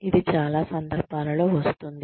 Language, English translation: Telugu, It will come in most cases